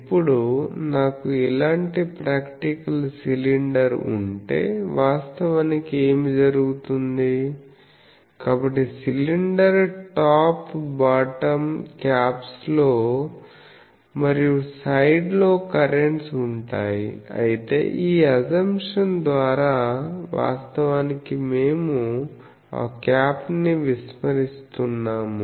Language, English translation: Telugu, Now, these actually what happens if I have a practical cylinder like this; so there will be currents in the sides also in these top caps of the cylinder top and bottom caps there will be current, but by this assumption actually we are neglecting that cap